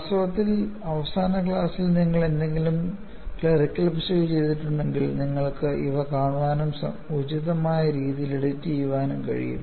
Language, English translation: Malayalam, In fact, if you have done any clerical error in the last class, you could see these and edit them appropriately